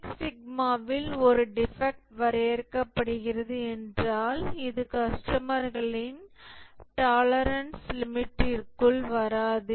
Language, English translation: Tamil, A defect is defined in 6 Sigma as anything that does not fall within customer's tolerance limit